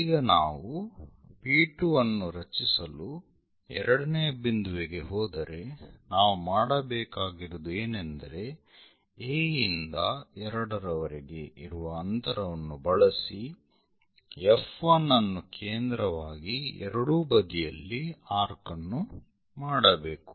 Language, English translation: Kannada, Now, if we are moving to the second point to construct P 2 what we have to do is from A to 2 whatever the distance use that distance, but centre as F 1 make an arc on either side